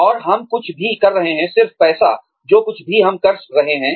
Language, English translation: Hindi, And, we are getting something more than, just money, out of whatever, we are doing